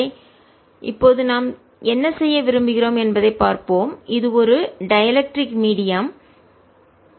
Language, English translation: Tamil, what we want to do now is: this is a dielectric medium, so therefore there are two boundary conditions